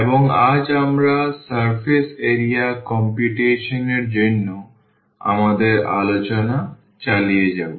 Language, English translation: Bengali, And today we will continue our discussion for computation of surface area